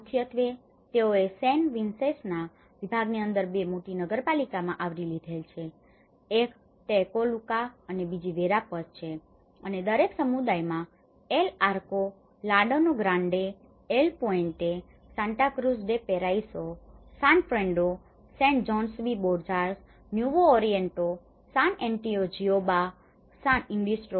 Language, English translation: Gujarati, Mainly, they have covered in the two major municipalities, one is a Tecoluca and Verapaz, within the department of San Vicente and each community includes El Arco, Llano Grande, El Puente, Santa Cruz de Paraiso, San Pedro, Sand Jose de Borjas, Nuevo Oriente, San Antonio Jiboa, San Isidro so, these are all concluding about 582 houses